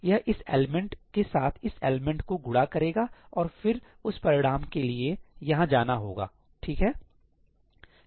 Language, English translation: Hindi, It will multiply this element with this element and that result will have to be will have to go here, right